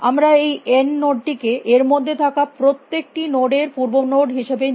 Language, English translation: Bengali, This node we take this node n as the parent of each of these nodes inside this